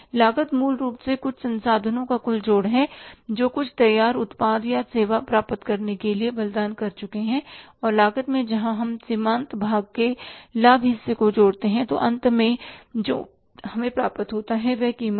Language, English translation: Hindi, Cost is basically the one which is a sum total of the resources which we have sacrificed to get some finished product or service and in the cost when we add up the profit part or the margin part then finally what we get is that is the price